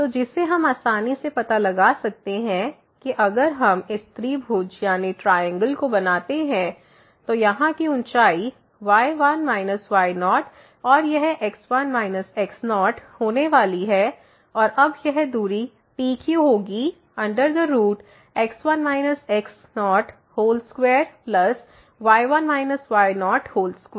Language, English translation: Hindi, So, which we can easily find out if we form this triangle, then this here the height will be like minus and this is going to be minus and now, this distance P Q will be the square root of minus square and plus minus square